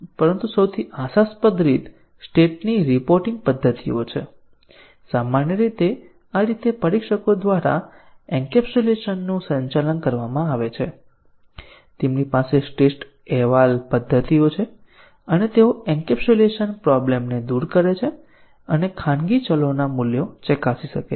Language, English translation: Gujarati, But the most promising way is the state reporting methods and normally this is the way encapsulation is handled by the testers, they have state reporting methods and they overcome the encapsulation problem and can check the values of the private variables